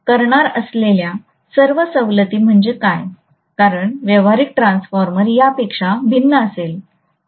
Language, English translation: Marathi, What are all the exemptions that we are going to make is, because obviously practical transformer will differ from this, okay